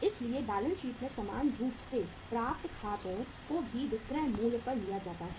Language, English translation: Hindi, So accounts receivables normally in the balance sheet are also taken at the selling price